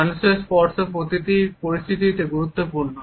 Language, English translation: Bengali, Human touch is important in every circumstances